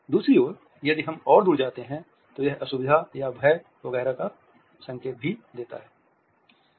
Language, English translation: Hindi, On the other hand if we move further down then it also offers a signal of discomfort or fear etcetera